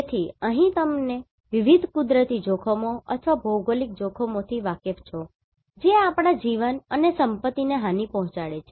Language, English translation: Gujarati, So, here you may be aware like the different natural hazards or geo hazards which are causing damage to our life and property right